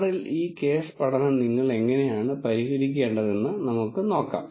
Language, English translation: Malayalam, Now, let us see how do you solve this case study in R